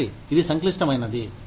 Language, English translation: Telugu, One, it is complex